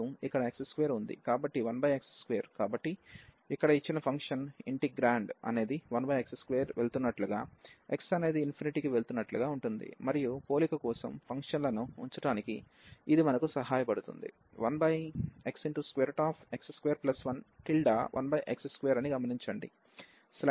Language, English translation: Telugu, So, this function here the given function the integrand is behaving as 1 over x square behaves as x goes to infinity and that will help us to set the functions for comparison